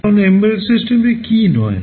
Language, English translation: Bengali, Now, what embedded system is not